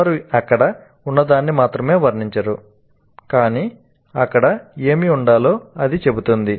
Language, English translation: Telugu, Just they do not only describe what is there but it tells what should be there